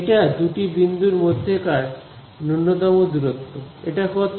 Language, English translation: Bengali, So, this the minimum distance between these two points is how much